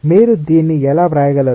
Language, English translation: Telugu, how can you write it